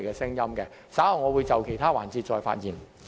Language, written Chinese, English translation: Cantonese, 稍後我會在其他環節再發言。, I will speak again in other sessions later